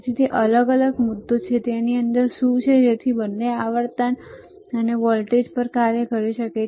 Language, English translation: Gujarati, So, that is that is a separate issue that what is within it so that it can operate on both the voltages both the frequency